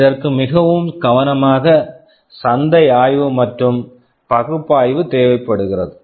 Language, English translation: Tamil, And this requires very careful market study and analysis